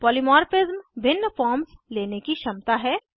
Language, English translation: Hindi, Polymorphism is the ability to take different forms